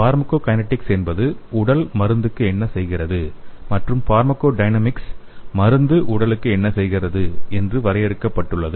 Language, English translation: Tamil, The pharmacokinetics is simply defined as what the body does to the drug and the pharmacodynamics is what the drug does to the body